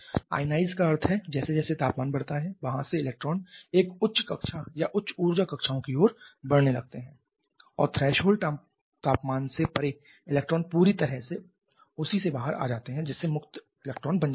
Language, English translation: Hindi, Ionized means as the temperature increases the electrons from there atom starts to move towards a higher orbit a higher high energy orbits and beyond the threshold temperature the electrons completely come out of that thereby becoming free electron